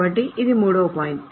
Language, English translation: Telugu, So, this is the third point